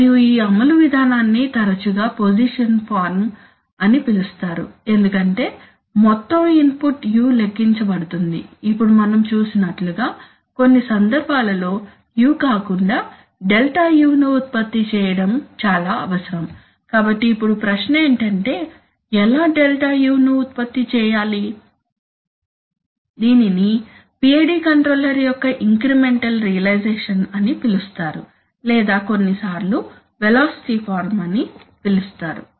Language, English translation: Telugu, And this implementation form is often called a position form, so it is called a position form because the whole input u is calculated, now as we have seen that in some cases, it is rather necessary to generate Δu rather than u, as we have seen, right, so then now the question is that how do we generate Δu that is called an incremental realization of the PID controller or sometimes called a velocity form